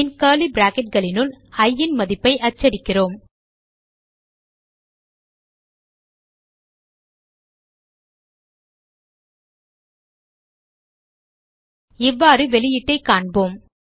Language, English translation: Tamil, Then, in curly bracket we print the value of i Now, let us see the output